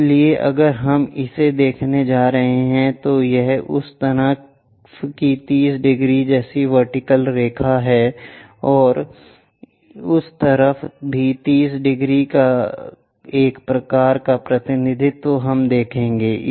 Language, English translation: Hindi, So, if we are going to look it this is the vertical line something like 30 degrees on that side and also on that side 30 degrees kind of representation we will see